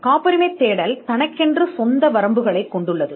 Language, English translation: Tamil, The patentability search has it is own limitations